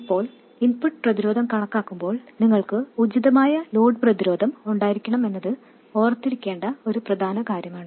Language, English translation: Malayalam, Now it is important to remember that while calculating the input resistance you should have the appropriate load resistance in place